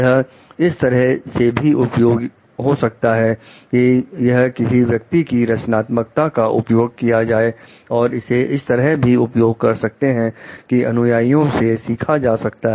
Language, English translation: Hindi, It can also be used as a point of encouraging the creativity of the person and it can be used in terms of also learning from the followers